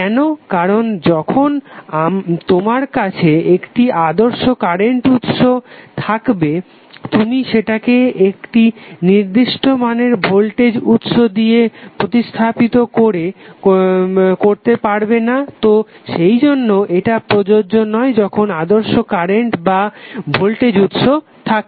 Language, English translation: Bengali, Why, because when you have ideal current source you cannot replace with any finite voltage source so, that is why, it is not applicable when the voltage and current sources are ideal